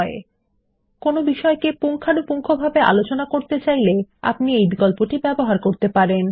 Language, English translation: Bengali, You can use this option when you want to thoroughly discuss one point, before moving on to the next